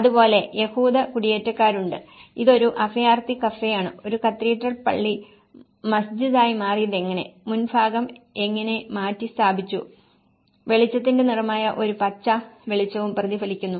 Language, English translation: Malayalam, So, similarly, there is Jewish squatters and this is a refugee cafe and there is also how a cathedral has been converted into the mosque and how the top part is replaced and a green light which is also the colour of the light is also reflected